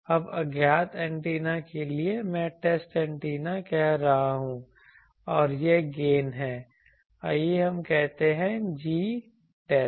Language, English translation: Hindi, Now, to the antenna unknown antenna here I am calling test antenna and it is gain let us say G test